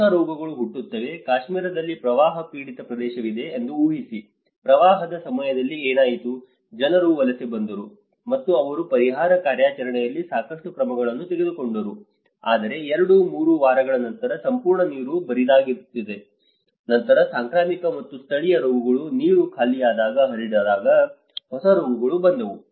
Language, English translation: Kannada, A new diseases will be born, imagine there is a flood affected area in Kashmir, what happened was during the floods, people were migrated, and they have taken a lot of measures in the relief operations but after two, three weeks when the whole water get drained up, then the new set of diseases came when because of the epidemic and endemic diseases spread out when the water drained up